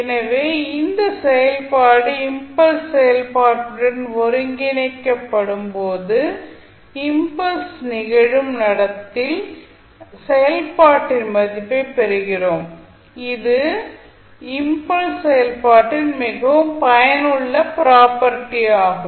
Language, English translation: Tamil, So, this shows that when the function is integrated with the impulse function we obtain the value of the function at the point where impulse occurs and this is highly useful property of the impulse function which is known as sampling or shifting property